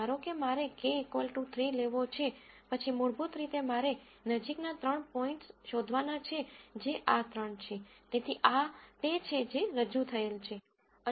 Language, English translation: Gujarati, Say if I want to take k equal to 3, then basically I have to find three nearest points which are these three, so this is what is represented